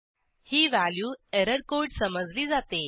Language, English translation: Marathi, It can be interpreted as an error code